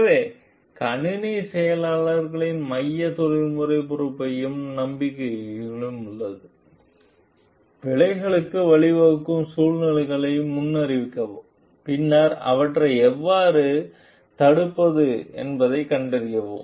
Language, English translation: Tamil, So, there relies the central professional responsibility of the computer engineers also to do foresee situations which may lead to errors and then find out how to arrest for it